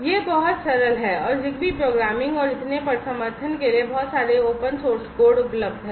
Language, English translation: Hindi, It is very simple and there are lot of open source code available for supporting ZigBee programming and so on